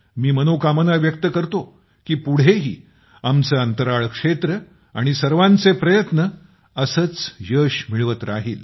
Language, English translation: Marathi, I wish that in future too our space sector will achieve innumerable successes like this with collective efforts